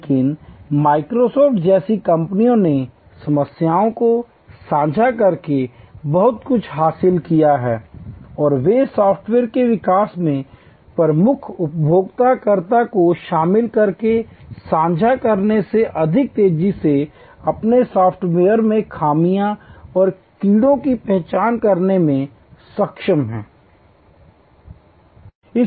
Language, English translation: Hindi, But companies like Microsoft has gained enormously by sharing the problems and they have been able to identify flaws and bugs in their software for more faster by sharing, by involving the lead users in the software development